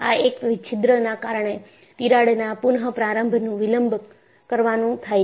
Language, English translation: Gujarati, Here, because of a hole, the re initiation of the crack is delayed